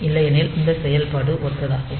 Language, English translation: Tamil, So, otherwise this operation is similar